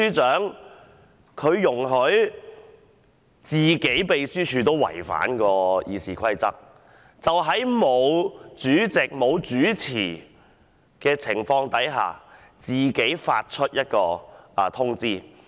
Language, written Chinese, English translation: Cantonese, 他竟容許秘書處違反《議事規則》，在未獲主席指示的情況下自行發出通知。, Mr CHEN should not have allowed the Legislative Council Secretariat to in violation of the Rules of Procedure RoP issue a notice on its own without being directed by the Chairman concerned